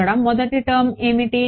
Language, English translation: Telugu, What about the second term